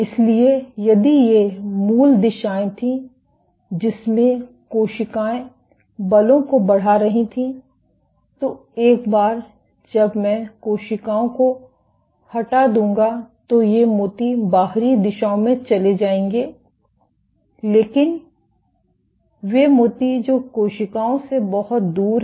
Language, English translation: Hindi, So, if these were the original directions in which the cell was exerting forces, once I remove the cells these beads would move in the outward directions, but the beads which are far from the cell